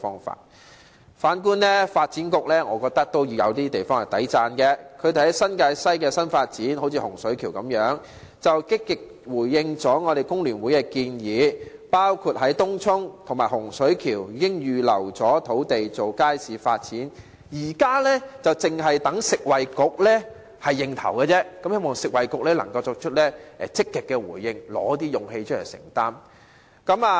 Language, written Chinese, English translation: Cantonese, 反觀發展局，我認為也有一些值得讚許的地方，局方在新界西的新發展上，例如在洪水橋，積極回應了工聯會的建議，包括在東涌和洪水橋預留土地作街市發展，現時只待食衞局首肯，希望食衞局可以作出積極回應，提出勇氣來承擔。, On the contrary the Development Bureau in my view merits some praises . The Bureau has actively responded to FTUs proposals for the new development of the New Territories West such as Hung Shui Kiu including the reservation of land in Tung Chung and Hung Shui Kiu for the development of markets . Now it is only waiting for the approval of the Food and Health Bureau